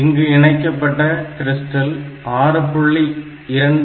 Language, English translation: Tamil, So, the crystal that is connected is of 6